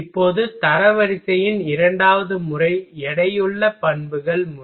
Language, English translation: Tamil, Now second method of ranking is that weighted properties method